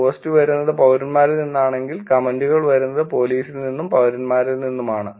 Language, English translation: Malayalam, If the post are coming from citizens and the comments are coming from police and citizens